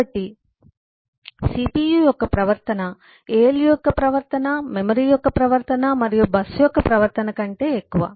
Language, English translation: Telugu, so behavior of the cpu is more than the behavior of the alu plus the behavior of the memory plus the behavior of the bus and so on